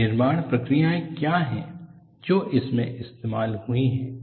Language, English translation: Hindi, What are the manufacturing processes that has gone into it